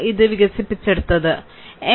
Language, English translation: Malayalam, So, it was developed by M